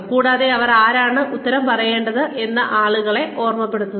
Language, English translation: Malayalam, And, reminding people, who they are answerable to